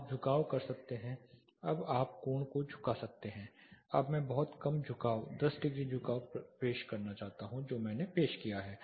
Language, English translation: Hindi, You can do the tilting you can now tilt the angle say is very minimum tilt say ten degree tilt I want to introduce 10 degree tilt I have introduced